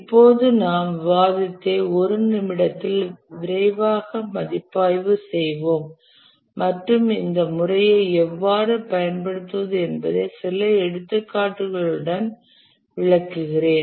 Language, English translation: Tamil, Now we will quickly review what we discussed in a minute and then we will take some examples to illustrate how to use the methodology